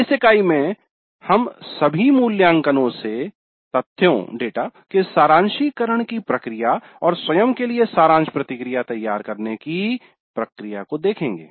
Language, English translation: Hindi, In this unit we look at the process of summarization of data from all evaluations and the preparation of summary feedback to self